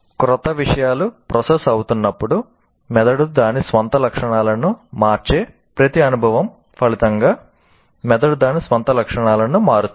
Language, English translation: Telugu, And as new things are getting processed, the brain changes its own properties as a result of every experience, the brain changes its own properties